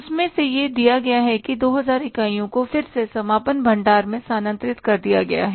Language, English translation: Hindi, Out of that, it is given that 2,000 units are again transferred to the closing stock